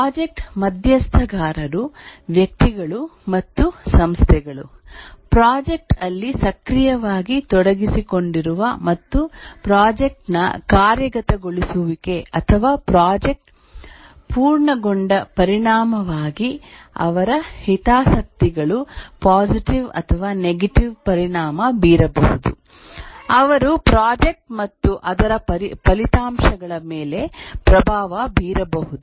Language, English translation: Kannada, The project stakeholders are individuals and organizations that are actively involved in the project and whose interests may be positively or negatively affected as a result of the project execution or project completion